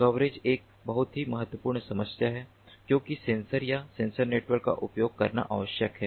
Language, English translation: Hindi, coverage is a very important problem because what is required is using sensors or sensor networks